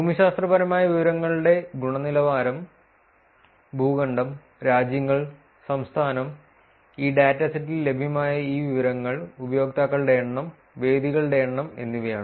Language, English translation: Malayalam, Also the quality of geographic information is continent, countries, state and this information that is available in this dataset is number of users, number of venues